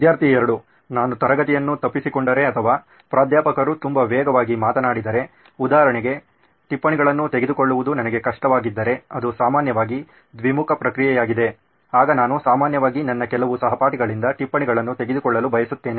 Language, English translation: Kannada, It is generally a two way process if I have missed a class or say for example if Professor speaks too fast then it is difficult for me to take down notes then I generally prefer taking notes from few of my classmates